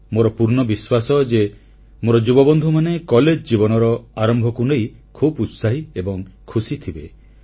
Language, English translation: Odia, I firmly believe that my young friends must be enthusiastic & happy on the commencement of their college life